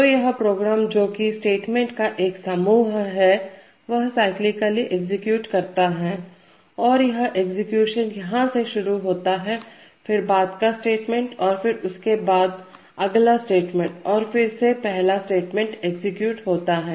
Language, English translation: Hindi, So this program which is a set of statements execute cyclically that is the execution begins here, then next statement and so on till the last statement and then again the first statement will be executed